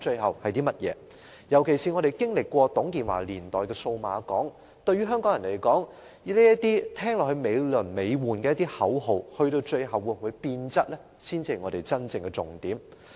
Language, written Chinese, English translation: Cantonese, 尤其是我們曾經經歷過董建華年代的數碼港，對於香港人來說，這些驟耳聽來美輪美奐的口號最後會否變質，才是真正的重點。, In particular we have witnessed the Cyberport project in the TUNG Chee - hwa era . For the people of Hong Kong whether such high - sounding slogans will eventually change in nature is actually the key issue